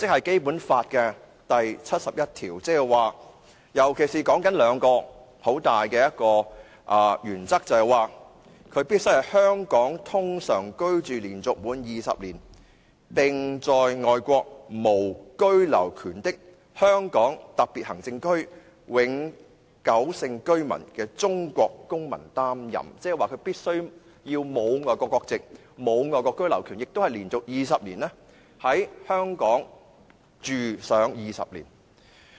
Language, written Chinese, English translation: Cantonese, 《基本法》第七十一條訂明立法會主席須符合兩項十分重要的規定，便是必須"在香港通常居住連續滿二十年並在外國無居留權的香港特別行政區永久性居民中的中國公民擔任"，即是必須沒有外國國籍，沒有外國居留權，並且連續在香港居住20年。, Article 71 of the Basic Law provides that the President of the Legislative Council has to meet two very important requirements ie . he must be a permanent resident of the Region with no right of abode in any foreign country and has ordinarily resided in Hong Kong for a continuous period of not less than 20 years . In other words he must not possess any citizenship or right of abode overseas and he must have continuously resided in Hong Kong for 20 years